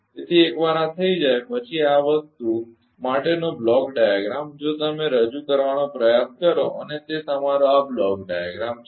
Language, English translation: Gujarati, So, once this is done then the block for this thing if you try to replace and it is your ah block diagram this one